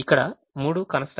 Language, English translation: Telugu, there are three constraints